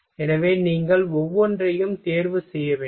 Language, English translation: Tamil, So, you will have to choose every